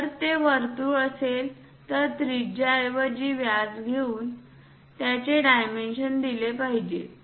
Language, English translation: Marathi, If it is a circle, it should be dimensioned by giving its diameter instead of radius